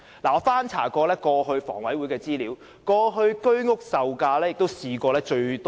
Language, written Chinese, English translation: Cantonese, 我曾翻查房委會的資料，以往居屋售價最低是四折。, After looking up the information of HA I found that HOS flats were once set at 40 % discount of market price at the lowest